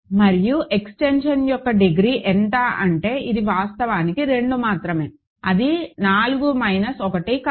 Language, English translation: Telugu, And what is the degree of the extension this is actually only 2 right, in if it was it is not 4 minus 1, right